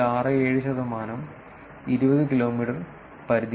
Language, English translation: Malayalam, 67 percent are within the 20 kilometers radius